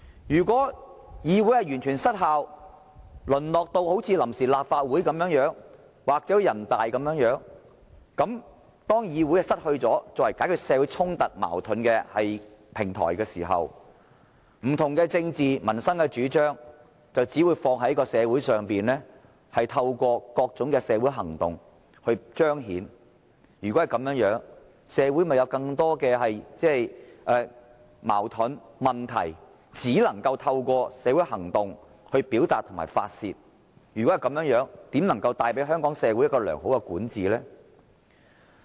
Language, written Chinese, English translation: Cantonese, 如果議會完全失效，淪落至好像臨時立法會或全國人民代表大會般，當議會不再作為解決社會衝突矛盾的平台時，不同的政治及民生主張只會在社會上透過各種社會行動來彰顯，如果是這樣，社會的矛盾和問題亦只能夠透過社會行動來表達和宣泄，試問這怎能為香港社會帶來良好管治呢？, If this Council has become completely ineffective and degenerated to the extent that it is likened to the Provisional Legislative Council or the National Peoples Congress and when this Council no longer serves as a platform for resolution of social conflicts and confrontations the different positions on political issues and the peoples livelihood would only be reflected through various kinds of social movements and in that eventuality social conflicts and problems could likewise be expressed and vented only through social movements . So how could this bring forth good governance to Hong Kong society?